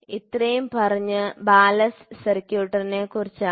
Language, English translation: Malayalam, So, this is about the ballast circuit